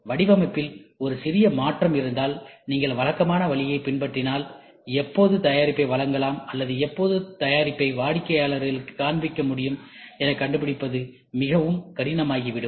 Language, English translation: Tamil, Suppose, if there is a small change in the design, and if you follow the conventional road, it is very difficult for you to figure out, when will you be able to give the delivery of the product or show it to the customer